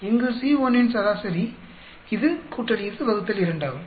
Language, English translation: Tamil, Average of C1 here this by this by 2